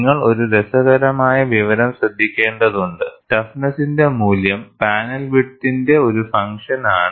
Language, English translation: Malayalam, And you have to note a funny information, the toughness value is also a function of panel width